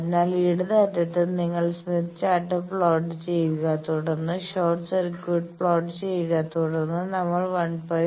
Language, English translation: Malayalam, So, it is at the left end you plot the Smith Chart then plot the short circuit then we have seen that we will have to move 1